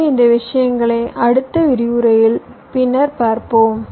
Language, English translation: Tamil, so we shall see all this things later in the next lectures